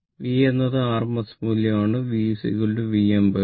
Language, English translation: Malayalam, V is the rms value; V is equal to V m by root 2